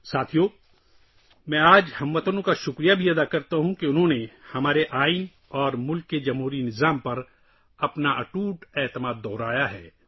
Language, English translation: Urdu, Friends, today I also thank the countrymen for having reiterated their unwavering faith in our Constitution and the democratic systems of the country